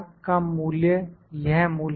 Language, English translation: Hindi, This value is 0